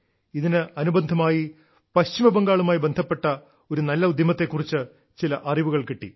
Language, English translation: Malayalam, In this very context, I came to know about a very good initiative related to West Bengal, which, I would definitely like to share with you